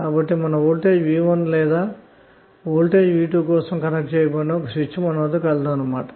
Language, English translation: Telugu, So you have switch connected either for voltage that is V1 or 2 voltage V2